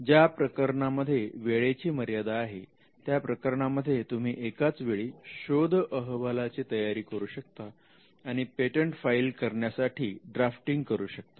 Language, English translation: Marathi, In cases where, there is a constraint of time, one approach you could follow us to prepare a search report and simultaneously also draft the patent application now this could be done simultaneously